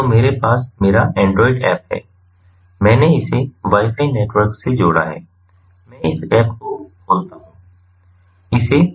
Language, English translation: Hindi, so i have my android app, i have connected it to the wifi network, i open this app